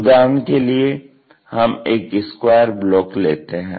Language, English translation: Hindi, For example, if we might be having some square block